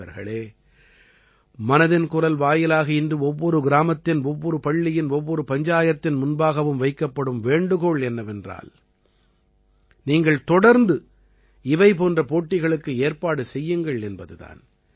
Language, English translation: Tamil, Friends, through 'Mann Ki Baat', today I request every village, every school, everypanchayat to organize such competitions regularly